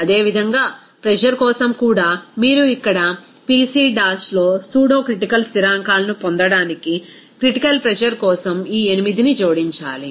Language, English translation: Telugu, Similarly, for pressure also you have to add this 8 for the critical pressure to get pseudocritical constants here Pc dash